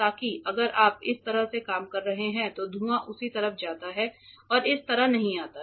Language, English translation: Hindi, So, that if you are working like this the fumes go that way and does not come this way ok